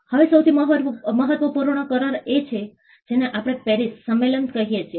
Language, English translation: Gujarati, Now, the most important agreement is what we call the PARIS convention